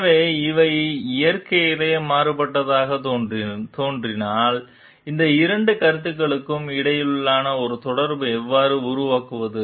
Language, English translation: Tamil, So, if these are appearing to be contrasting in nature, so then how do we build a bridge between these two concepts